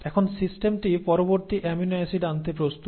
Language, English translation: Bengali, Now, the system is ready to bring in the next amino acids